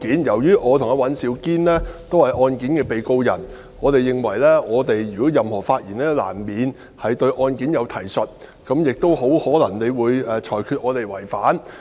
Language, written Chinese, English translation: Cantonese, "由於我和尹兆堅議員都是案件的被告人，我們認為我們的任何發言都難免對案件有提述，主席亦很可能會因而裁決我們違反上述規定。, Since Mr Andrew WAN and I are defendants of the case we are of the view that any remarks we make will inevitably make references to the case and on this ground it is very likely the President will rule them as a contravention of the aforesaid requirement